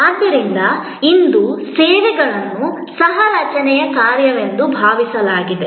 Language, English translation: Kannada, So, today services are thought of as an act of co creation